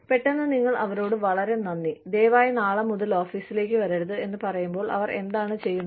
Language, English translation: Malayalam, Suddenly, you tell them that, thank you very much, please do not come to the office, from tomorrow